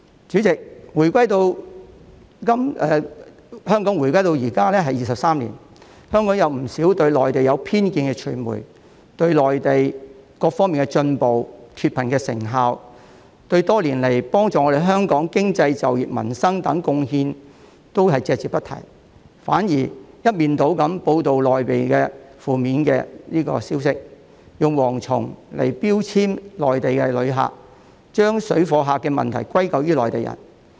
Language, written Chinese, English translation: Cantonese, 主席，香港回歸23年，不少對內地存有偏見的傳媒，對內地各方面的進步和脫貧的成效，多年來幫助香港經濟、就業、民生等貢獻都隻字不提，反而一面倒報道內地的負面消息，用"蝗蟲"來標籤內地旅客，把"水貨客"的問題歸咎於內地人。, Chairman 23 years have passed since the reunification of Hong Kong quite a number of media with prejudice against the Mainland have never mentioned anything about the progress of the Mainland on various fronts and its achievement in poverty alleviation as well as its contribution of assisting in aspects such as Hong Kongs economy employment and peoples livelihood over the years . Instead what they have reported are lopsided on the negative news of the Mainland whereas they have used the term locusts to label Mainland travellers and put the blame of the parallel traders problem on Mainlanders